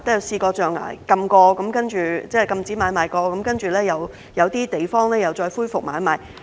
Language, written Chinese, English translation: Cantonese, 雖然象牙買賣曾被禁止，但經過那麼多年，有些地方又再恢復買賣。, Despite a previous ban on ivory trade after all these years some places have resumed trade in ivory